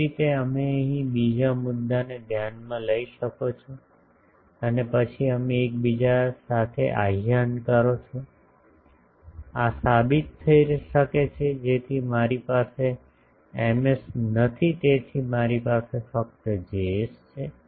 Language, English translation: Gujarati, The same way you can consider another point here and then you invoke in reciprocity, this can be proved so I do not have an Ms so I have simply a Js